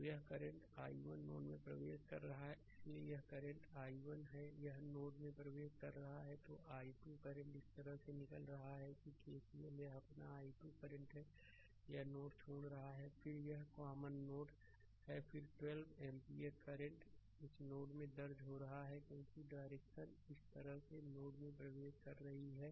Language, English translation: Hindi, So, this i 1 current entering into the node so, this current is i 1 this is entering into the node, then i 2 current emitting like this the way we ah explain that KCL this is your i 2 current it is leaving the node then this is a common node then 12 ampere current it is entering into the node because direction is this way entering into the node